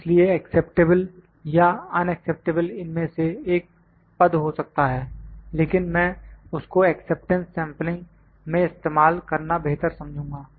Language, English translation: Hindi, So, acceptable or unacceptable can also be one of the term, but I will better use that in acceptance sampling